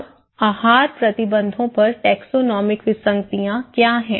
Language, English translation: Hindi, Now, what is taxonomic anomalies on dietary restrictions